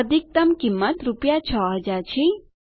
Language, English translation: Gujarati, The maximum cost is rupees 6000